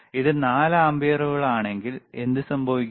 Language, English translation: Malayalam, If it is 4 ampere, what will happen